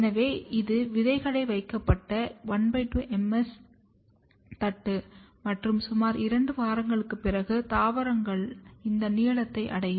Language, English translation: Tamil, So, this is the half MS plate where the seeds were put and after about 2 weeks the plants are of this length